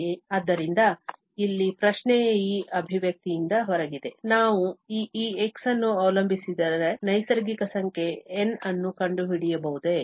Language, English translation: Kannada, So, the question here is out of this expression here, can we find a N which does not depend on x